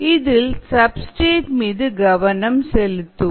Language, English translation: Tamil, here we are going to focus on the substrate